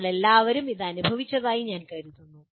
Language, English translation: Malayalam, I think all of us have experienced this